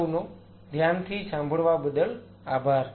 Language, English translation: Gujarati, Thanks for your patience listening